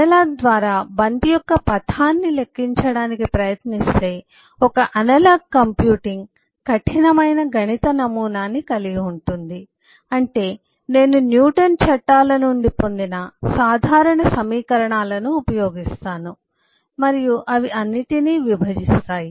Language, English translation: Telugu, if I try to compute the trajectory of the ball through analog means, I will use simple equations derived from newtons laws and they will divide everything